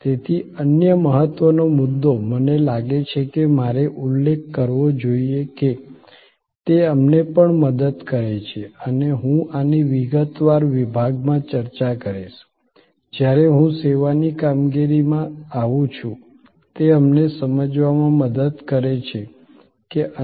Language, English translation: Gujarati, So, the other important point, I think I should mention that it also help us and I will discuss this in a detail section, when I come to service operations is that, it helps us to understand that which other bottleneck points and where failure can happened